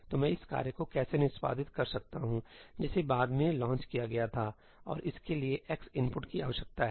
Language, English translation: Hindi, So, how can I execute this task, which was launched later, and it requires x is input